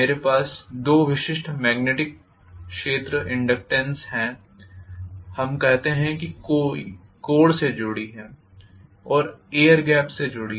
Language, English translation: Hindi, I have two specific magnetic field intensities, let us say associated with the core and associated with the air gap